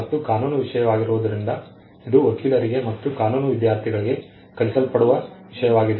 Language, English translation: Kannada, And being a legal subject, it is something that is taught to lawyers and law students